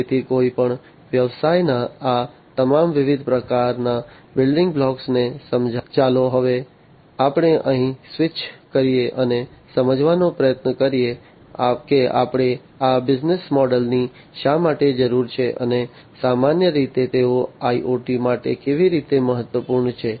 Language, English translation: Gujarati, So, having understood all these different types of building blocks of any business; let us now switch our here, and try to understand that why we need these business models, and how they are important for IoT, in general